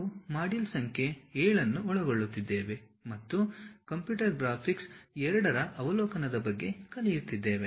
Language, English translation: Kannada, We are covering module 17 and learning about Overview of Computer Graphics II